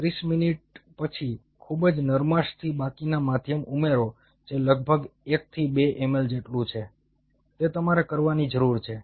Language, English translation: Gujarati, after thirty minutes, very gently add a rest of the medium which is around one to two ml